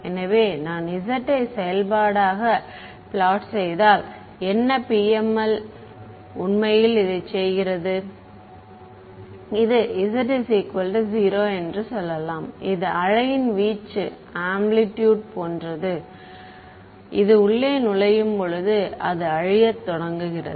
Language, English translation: Tamil, So, if I were to plot as a function of z what the PML is actually accomplishing let us say that this is z is equal to 0 and this is like the amplitude of the wave this enters inside it begins to decay